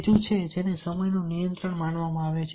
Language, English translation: Gujarati, third is perceived control of time